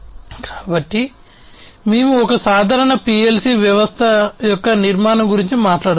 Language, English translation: Telugu, So, we will talk about the architecture of a typical PLC system